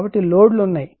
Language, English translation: Telugu, So, loads are there